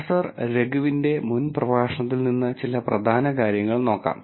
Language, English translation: Malayalam, Some key points from previous lecture of Professor Raghu’s